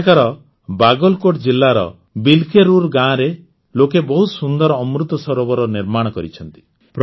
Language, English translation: Odia, Here in the village 'Bilkerur' of Bagalkot district, people have built a very beautiful Amrit Sarovar